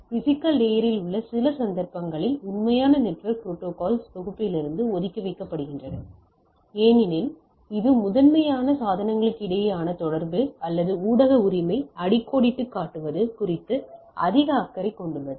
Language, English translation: Tamil, In some of the cases in physical layers are kept apart from the actual network protocols suite because of the reason that, that it is primarily more concerned about the communication between the devices or underlining media right